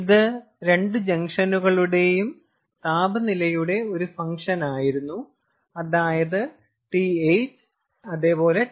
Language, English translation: Malayalam, ah, it was a function of the temperatures of the two junctions, that is, th and tc